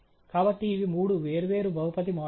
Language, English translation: Telugu, So, these are the three different polynomial models